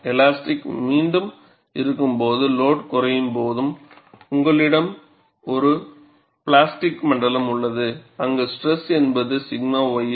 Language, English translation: Tamil, When there is elastic spring back, and the load is reduced, you have a plastic zone, where the stress is minus sigma y s